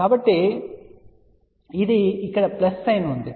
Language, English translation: Telugu, So, this is a plus sign here